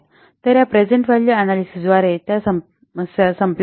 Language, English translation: Marathi, So, this present value analysis, it controls the above problems